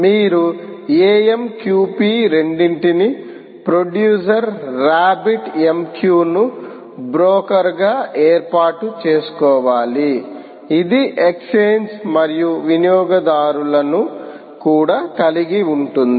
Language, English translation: Telugu, you should be able to set up a, quite simply the amqp, both producer rabbit m q as the broker which also has the exchange, and consumers